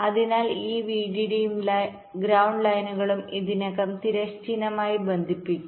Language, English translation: Malayalam, so this vdd and ground lines are already connected horizontally